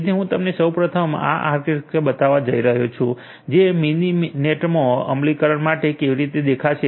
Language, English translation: Gujarati, So, I am going to show you first of all how this architecture that is going to look like for implementation in Mininet